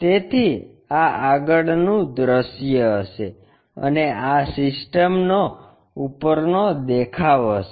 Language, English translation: Gujarati, So, this will be the front view and this will be the top view of the system